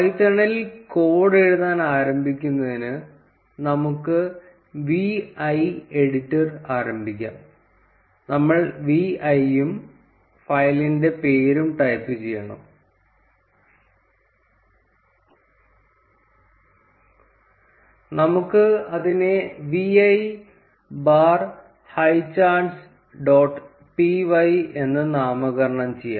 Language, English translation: Malayalam, To start writing code in python, let us start the vi editor, we need to type v i and the name of the file, let us name it as vi bar highcharts dot p y